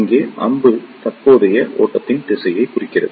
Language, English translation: Tamil, Here, the arrow represents the direction of current flow